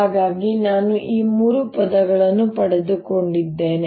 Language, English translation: Kannada, so i have gotten these three terms